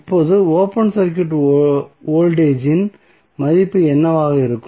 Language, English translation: Tamil, Now, what would be the value of open circuit voltage